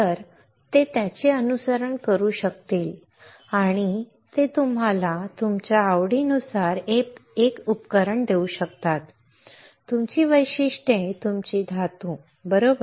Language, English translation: Marathi, So, that they can follow it and they can give you a device according to your choice your characteristics your metals, right